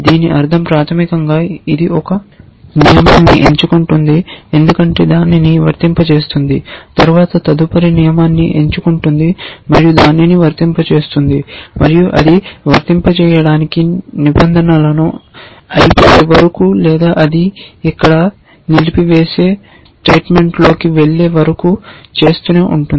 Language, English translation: Telugu, Which means basically it picks a rule, applies it then picks the next rule then applies it and keeps doing that till it either runs out of rules to apply or it runs into something like a halt statement here which we have explicitly given